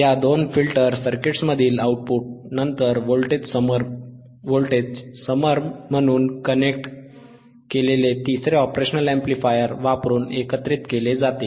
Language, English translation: Marathi, tThe output from these two filter circuits is then summed using a third operational amplifier connected as a voltage summer